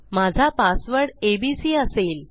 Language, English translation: Marathi, My password will be abc